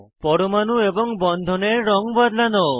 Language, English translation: Bengali, Change the color of atoms and bonds